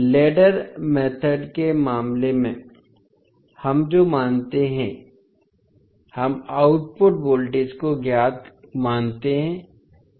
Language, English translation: Hindi, In case of ladder method, what we assume, we assume output voltage as known